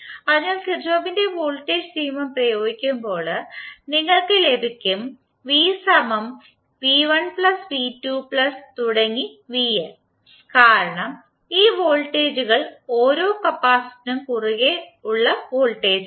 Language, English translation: Malayalam, So when apply Kirchhoff’s Voltage law, you get V is nothing but V1 plus V2 and so on upto Vn because these voltages are the voltage across the individual capacitors